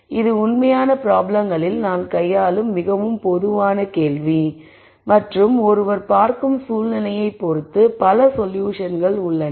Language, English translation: Tamil, So, this is a very typical question that we deal with in real problems and there are many solutions depending on the situation that one looks at